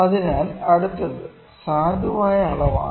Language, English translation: Malayalam, So, next is valid measurement